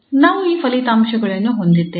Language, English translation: Kannada, We have these results